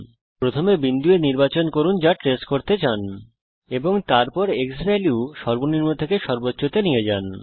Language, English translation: Bengali, First select point A thats what you want to trace and then move the xValue from minimum to maximum